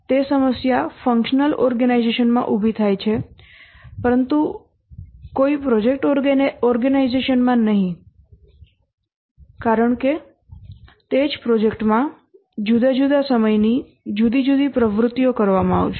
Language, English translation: Gujarati, That problem would arise in a functional organization but not in a project organization because at different points of time in the same project you will be doing different activities